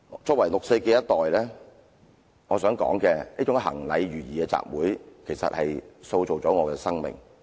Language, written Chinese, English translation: Cantonese, 作為六四的一代，我想說這種行禮如儀的集會其實塑造了我的生命。, As a person from the 4 June generation I wish to say that this routine assembly has actually shaped my life